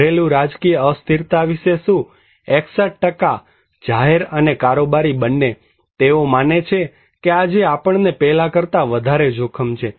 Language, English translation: Gujarati, What about domestic political instability; 61% both public and executive, they believe that we have more risk today than before